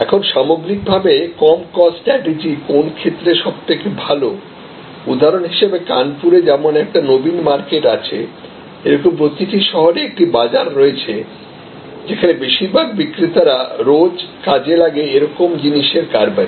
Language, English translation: Bengali, Now, when is overall low cost strategy best for example, in every city like in Kanpur we have Naveen market, like in every city there will be a market place, where most of the retailers of regular merchandise products